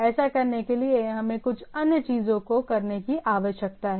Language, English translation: Hindi, In order to do that, we need to do some other things to handle that